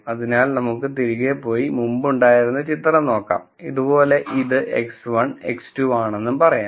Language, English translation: Malayalam, So, let us go back and look at the picture that we had before let us say this is X 1 and X 2